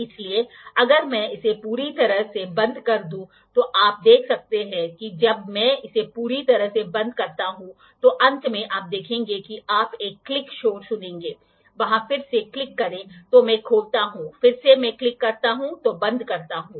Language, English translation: Hindi, So, if I close it completely you can see that when I close it completely, at the end you will see you will listen to a click noise see there click again I open, again I close click